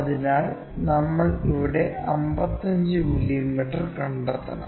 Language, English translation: Malayalam, So, 55 mm we have to locate 55 mm here